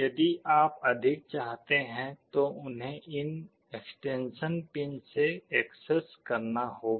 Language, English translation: Hindi, If you want more you will have to access them from these extension pins